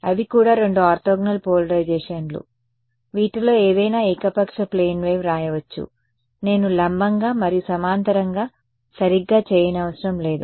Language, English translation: Telugu, Those are also two orthogonal polarizations into which any arbitrary plane wave could be written I need not do perpendicular and parallel not exactly right